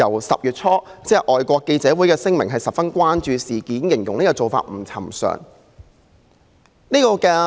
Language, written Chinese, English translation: Cantonese, 10月初，外國記者會發表聲明，表示十分關注事件，並形容政府做法不尋常。, In early October FCC issued a statement to express its grave concern about the incident and described the Governments approach as unusual